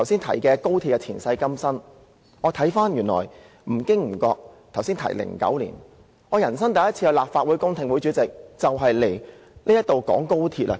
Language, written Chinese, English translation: Cantonese, 回顧高鐵的前世今生，我發現我在剛才提及的2009年，出席了我人生第一次的立法會公聽會，當時的議題正與高鐵有關。, In reviewing the ins and outs of XRL I recall that I mentioned 2009 just now that is the year I attended a public hearing of the Legislative Council for the first time in my life and the subject was exactly about XRL